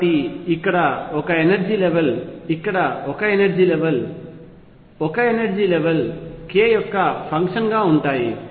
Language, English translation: Telugu, So, there is an energy level here, energy level here, energy level here for as a function of k